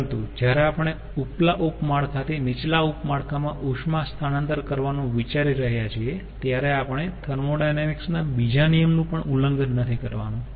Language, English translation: Gujarati, but when we are considering heat transfer from the upper sub network to the lower sub network, we should not also violate second law of thermodynamics